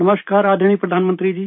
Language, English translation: Hindi, Namaskar respected Prime Minister ji